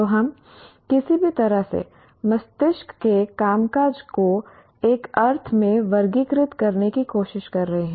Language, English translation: Hindi, So we are trying to somehow classify the functioning of the brain in one sense